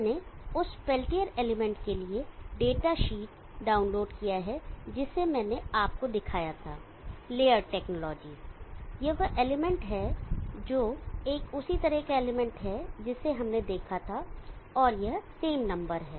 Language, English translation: Hindi, I have downloaded the datasheet for the peltier element that I showed you Laird technologies, this is the element that, a similar type of an element that we saw, and it is the same number